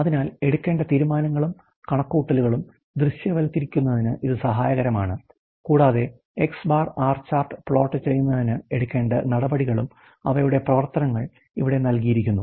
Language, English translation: Malayalam, So, it is helpful to visualize the decisions and calculations that must be made and the actions that need to be taken for plotting X and R chart they some of the actions are given here